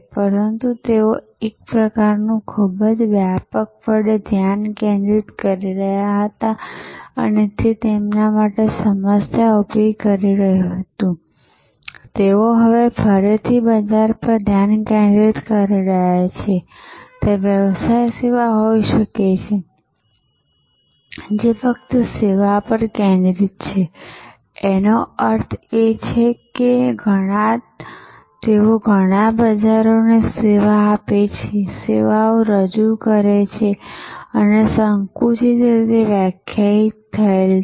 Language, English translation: Gujarati, But, they became kind of very widely focused and that was creating problem for them, they are now again getting back to a market focus, there can be business service business which are just focused on the service, which means they serve many markets, they serve many markets, but they are service offering is narrowly defined